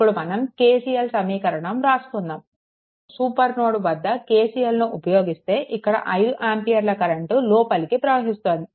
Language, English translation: Telugu, So, if you if you write down the equation KCL, if you apply KCL at the supernode, right, then this 5 ampere current is entering